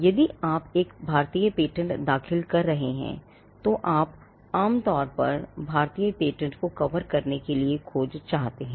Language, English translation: Hindi, Now, if you are filing an Indian patent, then you would normally want the search to cover the Indian patents